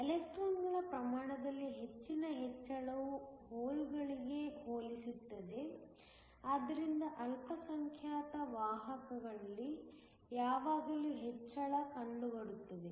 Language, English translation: Kannada, A large increase in the amount of electrons compare to holes, so that is how increase is always in the minority carriers